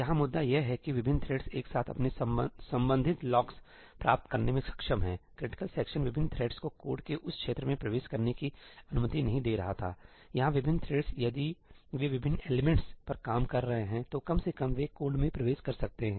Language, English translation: Hindi, The point here is that different threads are able to get their respective locks simultaneously; critical section was not allowing different threads to enter that region of the code ; here different threads, if they are working on different elements, at least they can enter the code